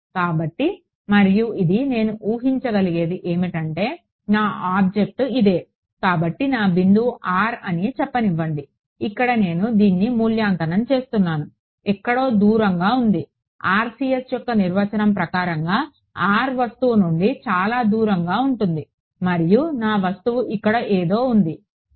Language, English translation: Telugu, So, and this what I can assume is that since my object this is let us say my point r prime right that is where I am evaluating this, is somewhere which is far away right that was the definition of RCS r trending to be very away from the object and my object is something over here ok